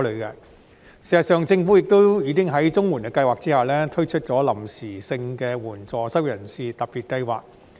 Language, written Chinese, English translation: Cantonese, 事實上，政府已經在綜援計劃下推出臨時性質的援助失業人士特別計劃。, In fact the Government has already taken forward the Special Scheme of Assistance to the Unemployed on a temporary basis under the CSSA Scheme